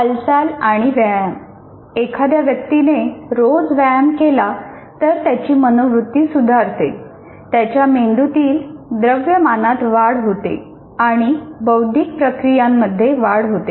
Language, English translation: Marathi, And movement and exercise, that is if a person continuously exercises every day, it improves the mood, increases the brain mass and enhance cognitive processing